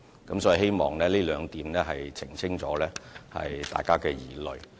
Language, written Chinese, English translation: Cantonese, 我希望這兩點釋除了大家的疑慮。, I hope the above explanations could address the concerns of some Members